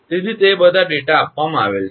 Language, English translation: Gujarati, So, all that data are given